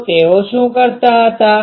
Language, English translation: Gujarati, So, what they used to do